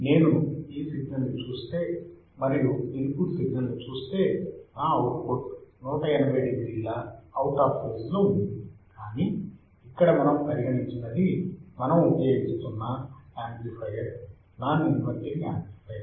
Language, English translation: Telugu, If I see this signal and if I see the input signal my output is 180 degree out of phase, but here what we have considered we have considered that the amplifier that we are using is a non inverting amplifier